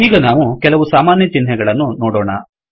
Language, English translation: Kannada, Let us now look at some common symbols